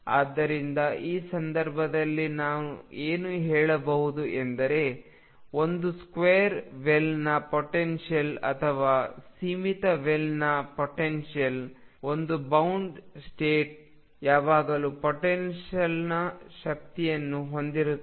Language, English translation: Kannada, So, in this case what we can say is that in a square well potential or finite will potential, one bound state is always there has the strength of the potential